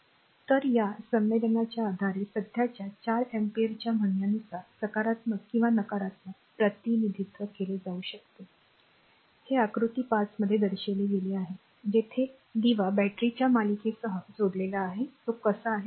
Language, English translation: Marathi, So, based on this convention a current of 4 amperes say may be represented your positively or negatively, this is shown in figure 5 where a lamp is connected in series with a battery look how it is